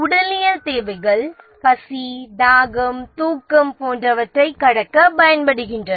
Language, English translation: Tamil, The physiological needs are the need to overcome hunger, thirst, sleep, etc